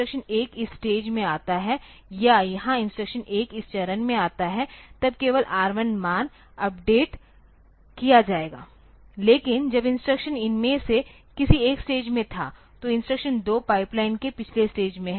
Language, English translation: Hindi, So, when the instruction 1 comes to this stage or here when the instruction 1 comes to this phase then only the R 1 value will be updated, but when instruction was in 1 is in these stage instruction 2 is in the previous stage of the pipeline